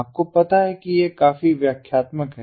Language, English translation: Hindi, so this is also quite explanatory